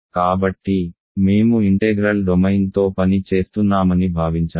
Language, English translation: Telugu, So, we assumed that we are working with an integral domain